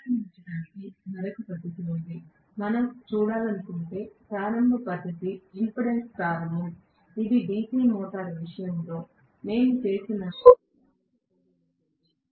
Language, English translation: Telugu, There is one more method of starting, the next method of starting that we would like to look at is impedance starting, which is very similar to what we did in the case of DC motor